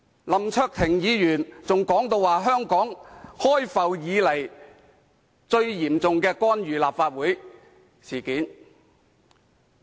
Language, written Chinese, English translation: Cantonese, 林卓廷議員更說這是香港開埠以來最嚴重的干預立法會事件。, Mr LAM Cheuk - ting said that this was the most serious interference with the Legislative Council since the inception of Hong Kong